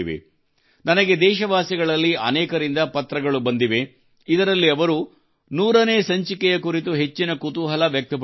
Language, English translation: Kannada, I have received letters from many countrymen, in which they have expressed great inquisitiveness about the 100th episode